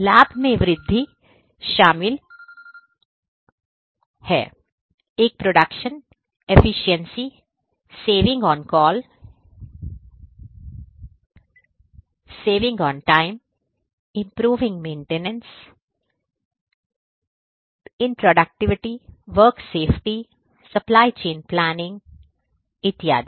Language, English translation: Hindi, Benefits include increase in production efficiency, saving on costs, saving on the time, improving asset maintenance, enhancing product productivity, work safety, supply chain planning and so on